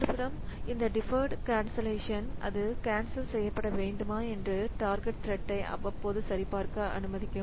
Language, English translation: Tamil, On the other hand this deferred cancellation so it will allow the target thread to periodically check if it should be cancelled